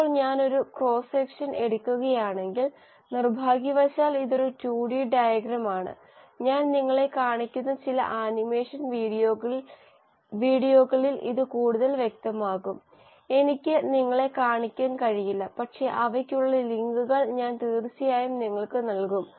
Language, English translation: Malayalam, Now if I were to take a cross section, this is I am, this is a 2 D diagram unfortunately, it will become clearer in some animation videos which I will show you; I cannot show you but I will definitely give you the links for those